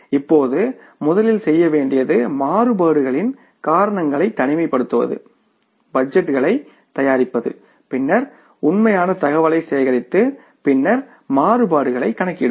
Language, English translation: Tamil, What we have to do is first job in the budgeting is to prepare the budgets, then collect the actual information and then calculate the variances